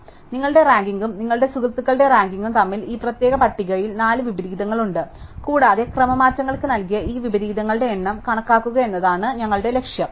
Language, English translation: Malayalam, So, there are four inversions in this particular list between your ranking and your friends ranking and our goal is to count this number of inversions given to permutations